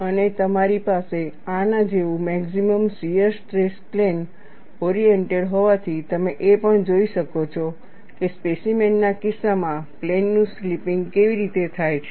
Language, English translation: Gujarati, And since, you have the maximum shear stress plane oriented like this, you could also see, how the slipping of planes happens, in the case of a specimen